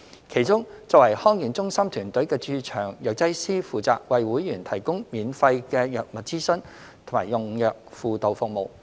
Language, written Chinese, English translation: Cantonese, 其中，作為康健中心團隊的駐場藥劑師負責為會員提供免費的藥物諮詢及用藥輔導服務。, As part of the DHC team the on - site pharmacists are responsible for providing free medication consultation and drug compliance counselling service to members